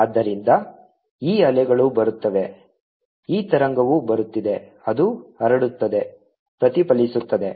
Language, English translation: Kannada, this wave is coming, gets transmitted, gets reflected